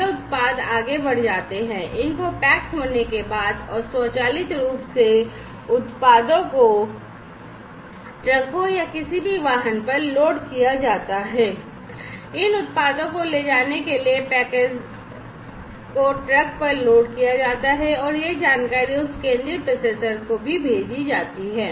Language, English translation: Hindi, So, the product moves on further, after the these are packaged and automatically the products are loaded on the trucks or any vehicle, that is going to carry these products the packages are loaded on the truck and that information is also sent to that central processor